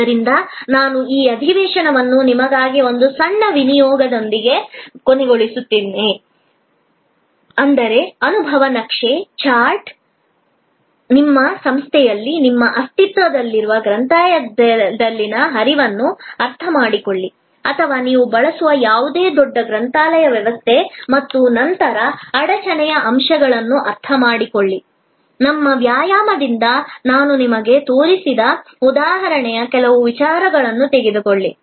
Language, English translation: Kannada, So, I will end this session with a small assignment for you is that, experience map, chart out, understand the flow in your existing library at your institution or any other large library system that you use and then, understand the bottleneck points, take some ideas from the example that I showed you from our exercise